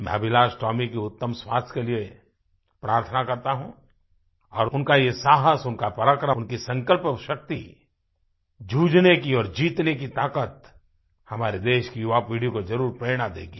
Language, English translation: Hindi, I pray for Tomy's sound health and I am sure that his courage, bravery and resolve to fight and emerge a winner will inspire our younger generation